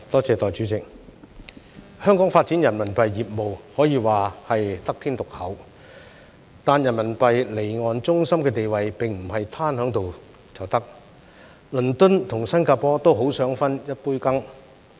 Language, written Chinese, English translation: Cantonese, 代理主席，香港發展人民幣業務，可以說是得天獨厚，但人民幣離岸中心的地位並不是"攤喺度就得"，倫敦和新加坡都很想分一杯羹。, Deputy President Hong Kong has unique advantages in developing Renminbi RMB business but the status as an offshore RMB centre does not come by without effort . Both London and Singapore are keen to get a share in the market